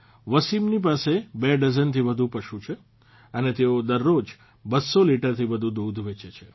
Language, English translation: Gujarati, Wasim has more than two dozen animals and he sells more than two hundred liters of milk every day